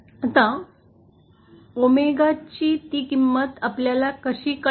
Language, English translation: Marathi, Now, how do we find out that value of omega